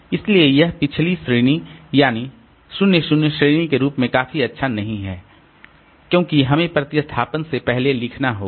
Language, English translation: Hindi, So, it is not quite good quite as good as this previous category that is 0 0 because we have to write out before replacement